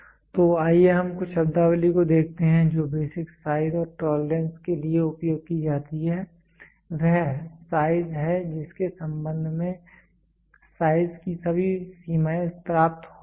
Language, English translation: Hindi, So, let us see some of the terminologies which are used in tolerances basic size, is the size in relation to which all limits of size are derived